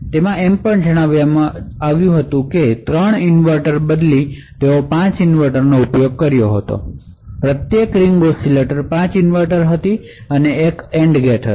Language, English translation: Gujarati, Further, they also said that instead of 3 inverters they had used 5 inverters, so one each ring oscillator had 5 inverters and an AND gate